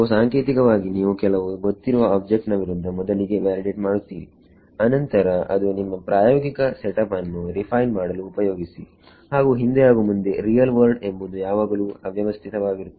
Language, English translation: Kannada, So, typically you would first validate against some known object then use that to refine your experimental setup and back and forth the real world is always very messy